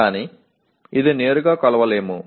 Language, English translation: Telugu, But which cannot be directly measured